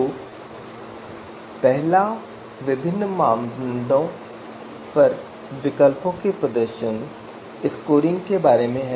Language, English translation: Hindi, So first one is about performance scoring of alternatives on different criteria